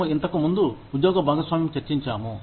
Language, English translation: Telugu, We have discussed, job sharing, earlier